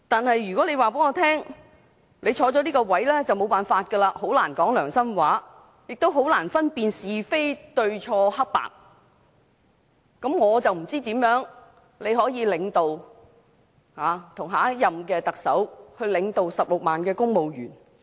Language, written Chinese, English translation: Cantonese, 然而，如果他告訴我，他擔任這個職位就很難說良心話，亦很難分辨是非、明辨黑白對錯，我就不知他怎能與下任特首一起領導16萬名公務員。, Nevertheless if he told me that being in that position it would be difficult for him to say things according to his own conscience differentiate right from wrong and distinguish between black and white I did not know how he could together with the new Chief Executive lead 160 000 civil servants